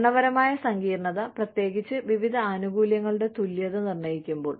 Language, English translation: Malayalam, Administrative complexity, especially, when determining equivalence of various benefits